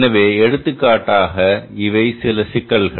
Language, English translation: Tamil, So, for example, these are some problems